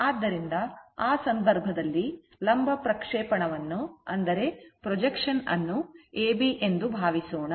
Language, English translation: Kannada, So, in that case if you if you take suppose that vertical projection so, that is A B